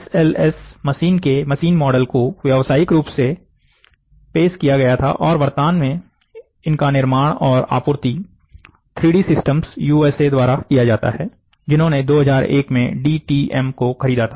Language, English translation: Hindi, The SLS machines, machine model were commercially introduced and these systems are currently manufactured and supplied by 3D systems, USA, which purchased DTM in 2001